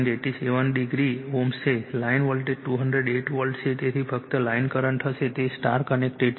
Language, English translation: Gujarati, 87 degree ohm right , line voltage is 208 volt therefore, line current will be just, your it is your star connected